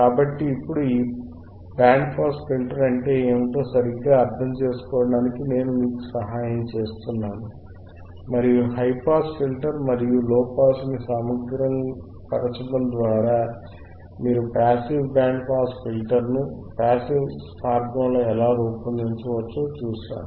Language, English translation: Telugu, So now, I help you to understand what exactly this band pass filter is, and we have seen how you can design a passive band pass filter by using the high pass filter and low pass filter by integrating high pass filter and low pass filter together in passive way it becomes passive band pass filter